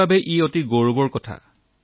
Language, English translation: Assamese, It is a matter of great pride for me